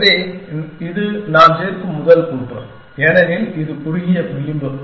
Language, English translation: Tamil, So, this could be my first says that I add, because that is the shortest edge